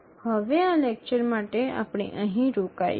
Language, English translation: Gujarati, Now for this lecture we will stop here